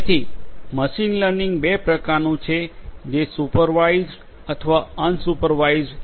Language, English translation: Gujarati, So, this machine learning could be of two types supervised or unsupervised